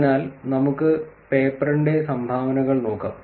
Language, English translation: Malayalam, So, now let us look at the contributions of the paper